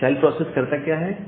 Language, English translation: Hindi, Now this child process, what it does